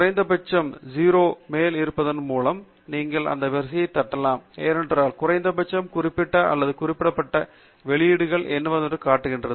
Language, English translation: Tamil, And you can also flip this sorting by making the lowest citations, namely zero, to be on the top, because that shows you what are the least referred or ignored publications